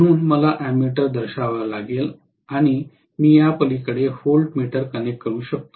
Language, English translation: Marathi, So I have to show ammeter and I can connect a voltmeter right across this